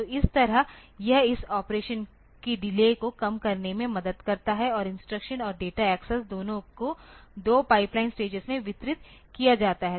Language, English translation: Hindi, So, that way it helps in the that way it help in the pipelining this reducing the speed of reducing that delay of operation and both instruction and data accesses are distributed into 2 pipeline stages